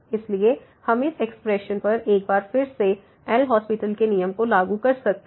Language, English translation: Hindi, So, we can apply the L’Hospital’s rule once again to this expression